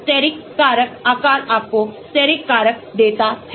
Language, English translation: Hindi, steric factors , the shape gives you the steric factor